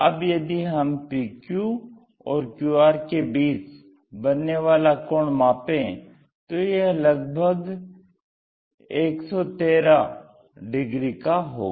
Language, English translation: Hindi, The PQ angle, so angle between PQ and QR which is around 113 degrees